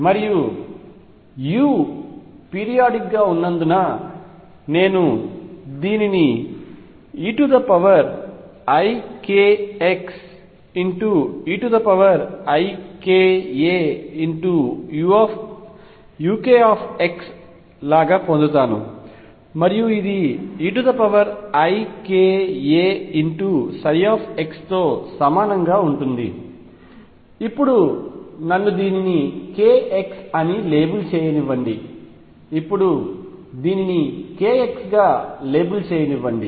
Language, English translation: Telugu, And since u is periodic I am going to have this as e raise to i k a e raise to i k x u k x which is same as e raise to i k a psi, let me now label it as k x let me now label this as k x